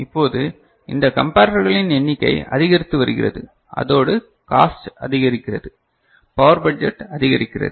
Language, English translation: Tamil, Now, this number of comparators getting increased and also you are not very comfortable with that, cost is increasing power budget is increasing right